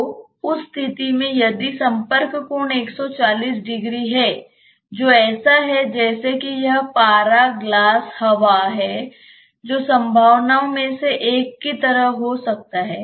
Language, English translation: Hindi, So, in that case say if the contact angle say is 140 degree which is like if it is mercury glass air that may be like one of the possibilities